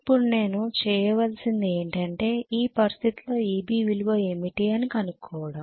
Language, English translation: Telugu, Now all I need to do is what is the value of EB under this condition